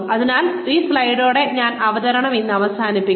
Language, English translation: Malayalam, So, I will end the presentation with this slide today